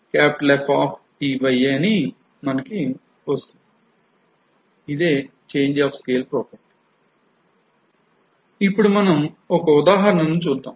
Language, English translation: Telugu, Now, let us see one example